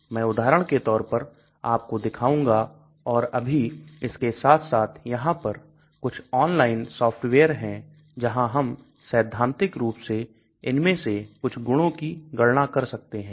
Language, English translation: Hindi, I will show you as examples also now as well as there are some online softwares where we can calculate theoretically some of these properties